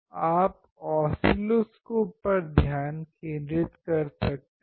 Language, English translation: Hindi, You can focus on the oscilloscope